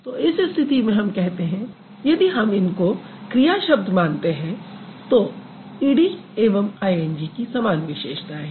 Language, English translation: Hindi, So, in this case, if we kind of consider them as verbs to begin with, then ED and ING, they seem to have similar features